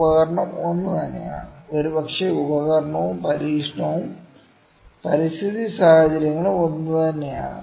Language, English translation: Malayalam, The instrument is the same, maybe the experimental is the same, and the environmental conditions are same